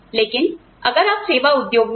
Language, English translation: Hindi, But, if you are in the service industry